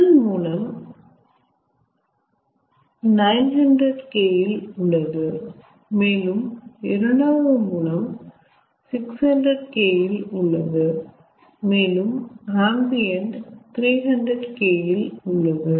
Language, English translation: Tamil, the first source is at nine hundred kelvin and the second source is at six hundred kelvin and the ambient is at three hundred kelvin